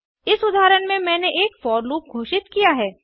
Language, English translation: Hindi, I have declared a for loop in this example